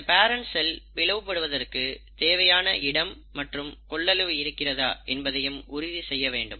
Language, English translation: Tamil, It has to make sure the organelles are sufficient, that there is a sufficient space and volume available for the parent cell to divide